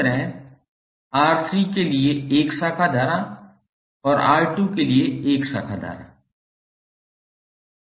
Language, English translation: Hindi, Similarly, 1 branch current for R3 and 1 branch current for R2